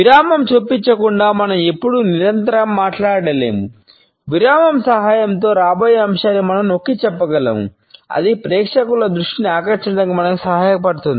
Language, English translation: Telugu, We can never continually speak without inserting a pause, we can emphasize the upcoming subject with the help of a plant pause then it would enable us to hold the attention of the audience